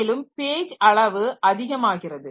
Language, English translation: Tamil, So, pages are of equal size